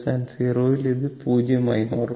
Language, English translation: Malayalam, So, u t is 0 for t less than 0